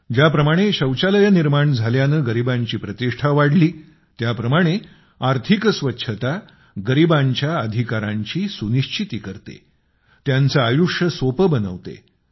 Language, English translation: Marathi, The way building of toilets enhanced the dignity of poor, similarly economic cleanliness ensures rights of the poor; eases their life